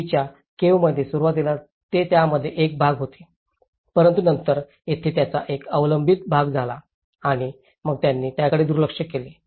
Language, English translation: Marathi, In the earlier caves, initially they were part of it but then there has become a dependent part of it and then they ignored it